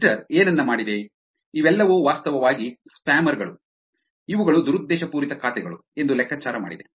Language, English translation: Kannada, Twitter did something, figured that all these are actually spammers, these are actually malicious accounts